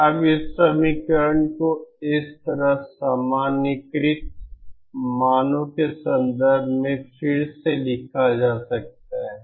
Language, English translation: Hindi, Now this equation can be rewritten in terms of the normalized values like this